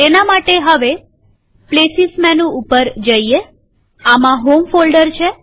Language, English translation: Gujarati, For that lets go to Places menu this time.In this, we have the home folder